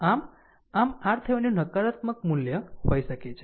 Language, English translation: Gujarati, So, so R Thevenin may have a negative value